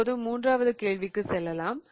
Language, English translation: Tamil, Now let us go to the next question